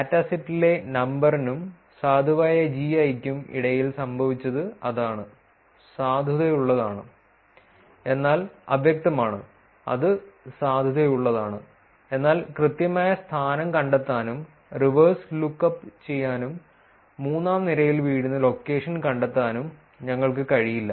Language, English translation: Malayalam, So, these kind of locations has to be removed that is what happened between number in the dataset and valid GI; valid, but ambiguous which is it is valid, but we are not able to figure out the exact location, reverse look up, and find out the location that falls into the third row